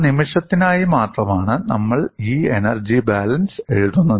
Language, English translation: Malayalam, And how we are justified in writing this energy balance